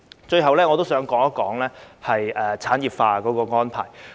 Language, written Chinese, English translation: Cantonese, 最後，我想談及產業化的安排。, Lastly I would like to talk about industrialization